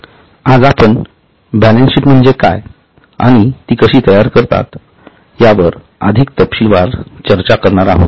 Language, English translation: Marathi, Today we are going to discuss further in detail about what is balance sheet and how it is prepared